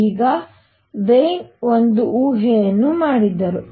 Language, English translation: Kannada, Now, Wien made an assumption